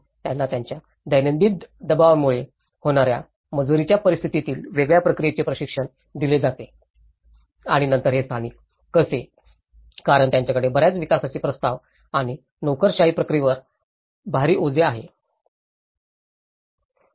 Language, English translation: Marathi, So, they are trained in a different process of their daily pressurized situation of approving and but then how these locals, because they are heavily burden with lot of development proposals and the process the bureaucratic process